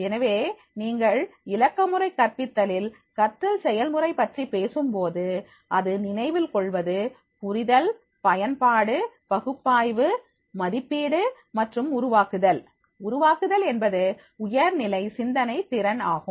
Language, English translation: Tamil, So, therefore when you talking about the learning process in the digital pedagogy it goes from the remembering, understanding, applying, analysing, evaluating and the creating, creating will be the higher order thinking skill